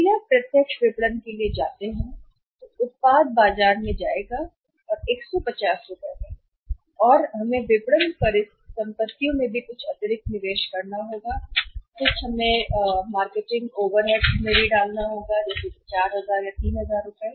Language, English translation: Hindi, If you go for the direct marketing the product will go to the market and 150 rupees and we have to make some additional investment in the marketing assets also and some marketing overheads we have to incur which is 4000 and 3000